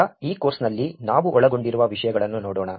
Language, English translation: Kannada, Now, let us look at topics that we will cover over this course